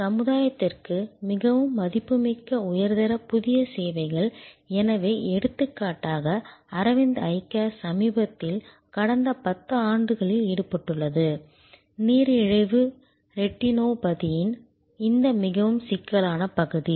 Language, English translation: Tamil, But, very valuable for the society high quality new services, so for example, Aravind Eye Care was recently engaged over the last decade or so, this very complex area of diabetic retinopathy